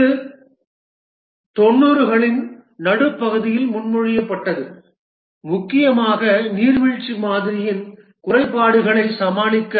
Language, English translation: Tamil, It was proposed in mid 90s mainly to overcome the shortcomings of the waterfall model